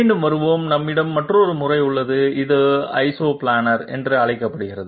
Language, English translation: Tamil, Coming back, we have another method which is called Isoplanar